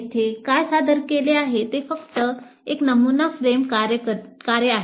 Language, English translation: Marathi, So what is presented here is just a sample framework only